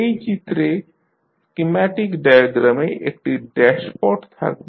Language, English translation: Bengali, The schematic diagram will contain dashpot in the figure